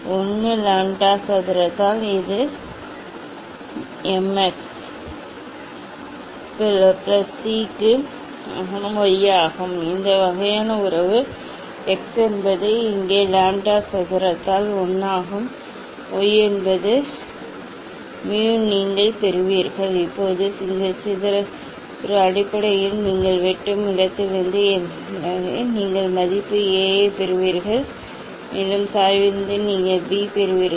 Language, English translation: Tamil, 1 by lambda square, so it is a y equal to m x plus c this kind of relation x is 1 by lambda square here, y is mu you will get you will get a straight line like this or whatever you will get Now, this C here, it is A basically, you will get what are from the intersection from the intersection you will get value A And from slope, you will get B